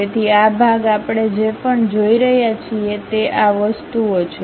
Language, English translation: Gujarati, So, this part whatever we are seeing, these are the things